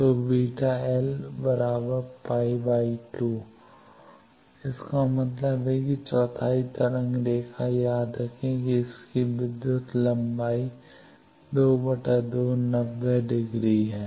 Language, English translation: Hindi, So, beta l will be pie by 2; that means, quarter wave line remember it has electrical length of pie by 2, 90 degree